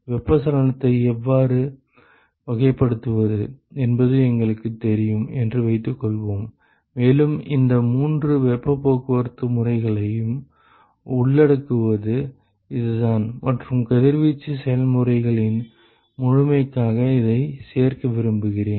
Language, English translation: Tamil, Let us assume that we know how to characterize convection and this is the way to include all three modes of heat transport and I want to include this for sake of completeness of radiation processes ok